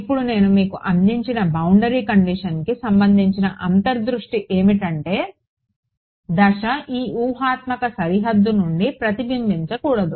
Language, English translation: Telugu, Now the intuition for the boundary condition that I had given you was that the phase should not reflect back from this hypothetical boundary correct